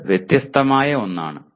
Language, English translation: Malayalam, It is something different